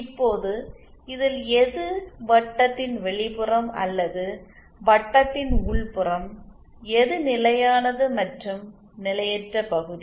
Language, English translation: Tamil, Now which one of this is it the outside of the circle or is it the inside of the circle, which is the stable and which is the unstable region